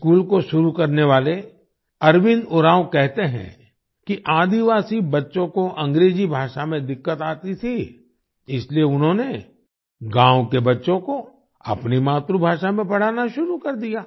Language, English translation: Hindi, Arvind Oraon, who started this school, says that the tribal children had difficulty in English language, so he started teaching the village children in their mother tongue